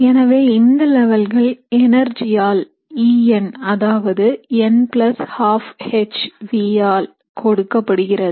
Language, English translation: Tamil, So now each of these levels is given by an energy E n which is n + 1/2 into hv